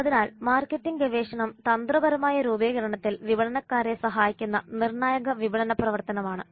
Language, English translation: Malayalam, Marketing research is a crucial marketing function which helps marketers in strategy formulation